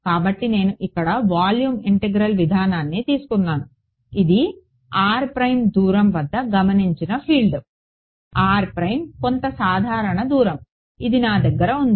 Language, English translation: Telugu, So, I have just taken the volume integral approach here this is the field observed at a distance R prime